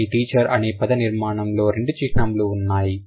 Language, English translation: Telugu, But in a construction like teachers there are two markers